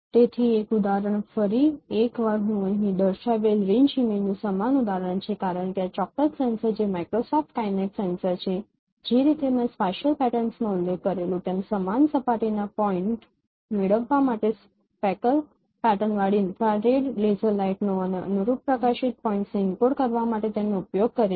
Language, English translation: Gujarati, So, one example once again the same example of range image I am showing here because this particular sensor which is Microsoft Kinnate sensor it uses infrared laser light with speckle pattern to get the scene point surface points and to encode the corresponding light points as I mentioned using spatial patterns